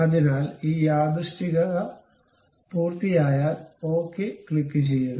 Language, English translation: Malayalam, So, once this coincident is done, click ok